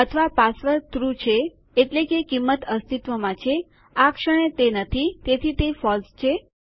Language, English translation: Gujarati, or the password is true that is, the value exists at the moment it doesnt, so it is false